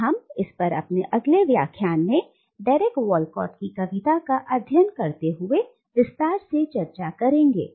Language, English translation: Hindi, And we will discuss this in more details when we take up the poetry of Derek Walcott in our next lecture